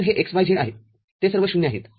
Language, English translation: Marathi, So, this x y z, all of them 0